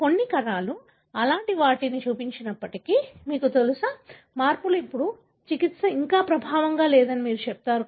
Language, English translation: Telugu, But, even if few cells show such kind of, you know, changes, then you would tell that the, the treatment, therapy is not yet effective